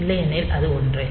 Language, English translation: Tamil, So, otherwise it is same